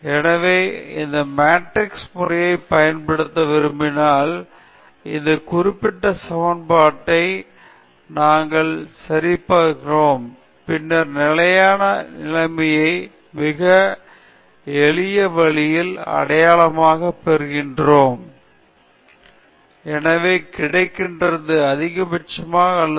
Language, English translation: Tamil, So, when we want to use this matrix method, we solve this particular equation and then we identify the stationary condition in a very simple way, minus half times the B inverse times the small b vector okay